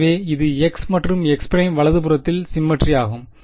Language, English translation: Tamil, So, it is symmetric with respect to x and x prime right